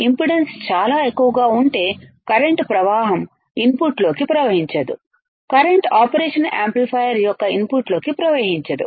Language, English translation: Telugu, If the impedance is extremely high can current flow current cannot flow into the inputs current cannot flow into the input of the operational amplifier